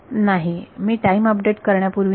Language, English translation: Marathi, No before I do a time update